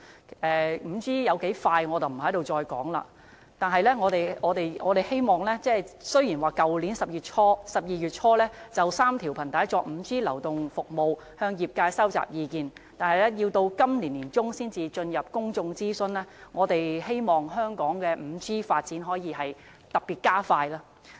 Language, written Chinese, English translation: Cantonese, 我不再重提 5G 速度有多快了，雖然政府在去年12月初，就3條頻帶用作 5G 流動服務向業界收集意見，但卻要到今年年中才會進入公眾諮詢，我們希望香港的 5G 發展可以再加快。, Nonetheless I will not make any repetition about the speed of 5G again . Although the Government collected views from the industry in early December last year on the use of three frequency bands to provide 5G services public consultation will not be conducted until the middle of this year . We hope the 5G development can be expedited in Hong Kong